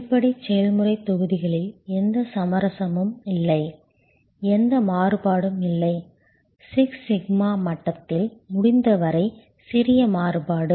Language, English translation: Tamil, In the basic process blocks, there is no compromise; there is no variation, as little variation as can be possible at six sigma level